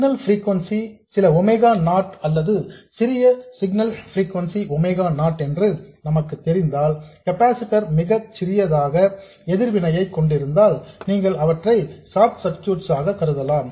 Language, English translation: Tamil, If we know that the signal frequency is some omega not or the smallest signal frequency is omega not and if the capacitors happen to have a very small reactance, then you can treat them as short circuits